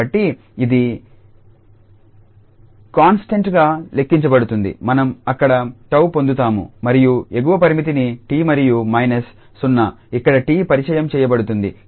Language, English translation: Telugu, So, that will be treated as constant so we will get tau there and the upper limit t and minus this 0 will introduce here t there